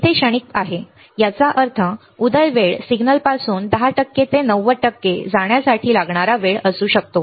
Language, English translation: Marathi, Right there is it transient; that means, that rise time might be the time it takes from signal to go from 10 percent to 90 percent